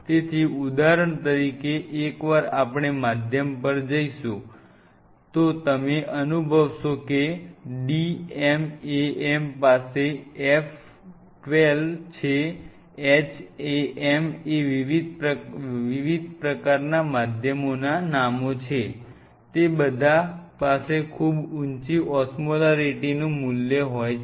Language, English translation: Gujarati, So, for example, once we will go to the medium you will realize medium like d m a m all these have F 12, HAM these are different medium names they all have pretty high osmolarity values